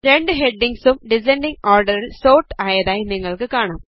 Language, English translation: Malayalam, You see that both the headings get sorted in the descending order